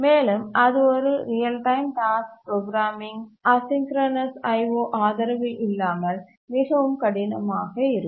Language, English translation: Tamil, It becomes very difficult to program a real time task without the support of asynchronous I